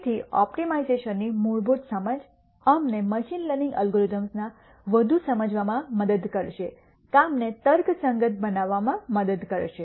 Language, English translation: Gujarati, So, basic understanding of optimization will help us more deeply understand the working of machine learning algorithms, will help us rationalize the working